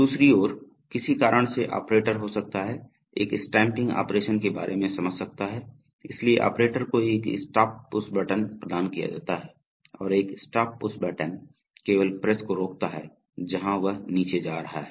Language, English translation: Hindi, On the other hand, due to some reason the operator may be, may like to about a stamping operation, so there is a stop push button provided to the operator and a stop push button stops the press only where it is going down